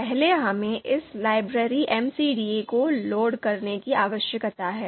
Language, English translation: Hindi, So first we need to load this library MCDA